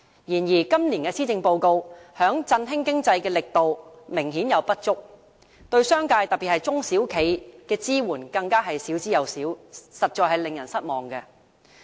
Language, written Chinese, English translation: Cantonese, 然而，今年的施政報告在振興經濟的力度明顯不足，對商界，特別是中小企的支援更少之有少，實在令人失望。, But the Policy Address obviously lacks strength in boosting the economy and hardly any assistance is offered to the business sector especially small and medium enterprises SMEs . In this regard it is disappointing